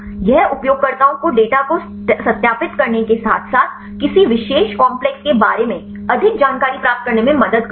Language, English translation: Hindi, This will help the users to verify the data as well as to get the more information regarding any particular complex fine